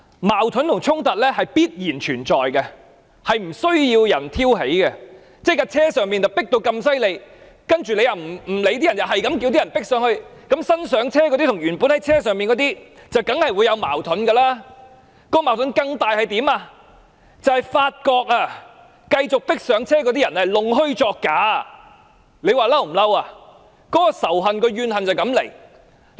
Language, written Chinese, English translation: Cantonese, 矛盾和衝突必然存在，並不需要人挑起，等同巴士內已非常擠迫，但司機又不顧及乘客，反而繼續讓人擠進車廂，這樣新上車的人和原本已在巴士內的人當然會出現矛盾，更大的矛盾是大家發覺繼續擠上車的人原來弄虛作假，憤怒，仇恨和怨恨便由此而生。, Conflict and confrontation surely exist and do not need anyone to provoke . This is just like a very crowded bus whose driver is regardless of the passengers but continues to allow people to cram in the bus . Conflict between the newly boarded passengers and the existing passengers will naturally occur and a bigger conflict emerges when it is found that the newly boarded passengers use fraudulent means to squeeze into the bus which will then be filled with anger hatred and grievances